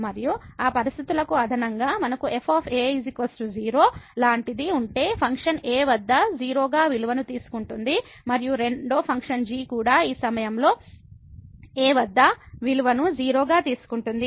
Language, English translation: Telugu, And, in addition to those conditions if we have like is equal to the function is taking value as at and the second function is also taking the value as at this point